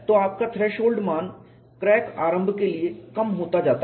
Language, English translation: Hindi, So, your threshold value keeps decreasing for crack initiation